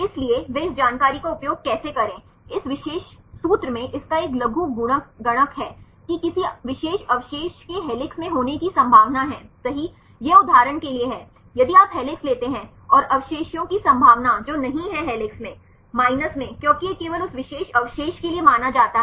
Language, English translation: Hindi, So, how to get this information they use this, this particular formula there is a logarithmic of this the probability of any particular residue to be in helix right this is for example, if you take the helix and the probability of the residue which is not in helix, minus because this is considered only for that particular residue